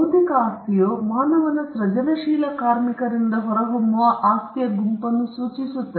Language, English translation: Kannada, Intellectual property refers to that set of property that emanates from human creative labour